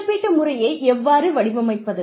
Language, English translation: Tamil, How do you design a compensation system